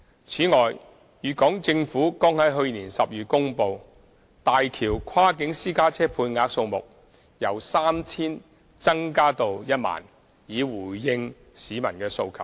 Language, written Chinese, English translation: Cantonese, 此外，粵港政府剛在去年12月公布大橋跨境私家車配額數目由 3,000 增加至 10,000， 以回應市民的需求。, In addition the Guangdong and Hong Kong governments announced in December last year that the quota for Hong Kong cross - boundary private cars using HZMB would be increased from 3 000 to 10 000 in response to the public demand